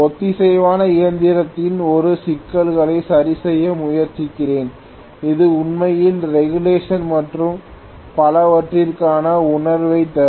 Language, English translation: Tamil, Let me try to work out one problem on synchronous machine, which will also give you a feel for what is actually regulation and so on and so forth